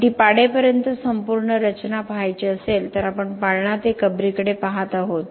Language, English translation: Marathi, But if we want to look at the whole structure until it is demolishing then we are looking at a cradle to grave